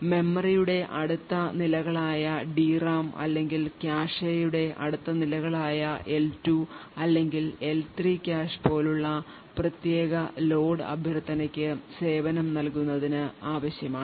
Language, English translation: Malayalam, The lower levels of memory either the DRAM or lower levels of the cache like the L2 or the L3 cache would require to service that particular load request